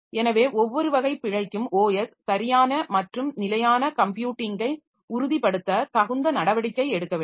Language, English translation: Tamil, So, for each type of error OS should take appropriate action to ensure correct and consistent computing